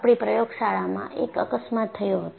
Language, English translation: Gujarati, In fact, this was an accident in our laboratory